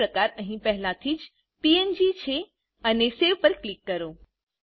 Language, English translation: Gujarati, The File type is already here png , and click Save